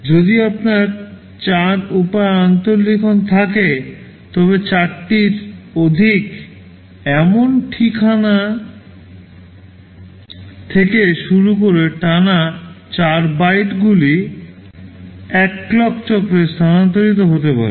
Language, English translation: Bengali, If you have 4 way interleaving, then 4 consecutive bytes starting from an address that is a multiple of 4 can be transferred in a single clock cycle